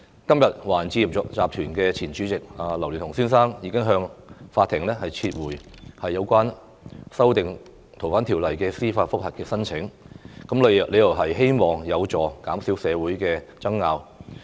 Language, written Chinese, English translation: Cantonese, 今天，華人置業集團前主席劉鑾雄先生向法庭撤回有關修訂《逃犯條例》的司法覆核申請，理由是希望有助減少社會爭拗。, Today Mr Joseph LAU former chairman of the Chinese Estates Holdings withdrew his application for judicial review in respect of the amendments to FOO in the hope of minimizing controversies within the community